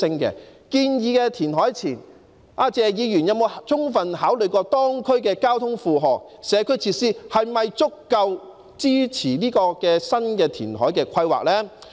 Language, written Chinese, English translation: Cantonese, 在建議填海前，謝議員有否充分考慮當區的交通負荷和社區設施是否足夠支持新的填海規劃呢？, Before he put forward the proposal on reclamation did Mr Paul TSE fully consider the transport load in the district and the adequacy of the community facilities in providing support for the new reclamation plan?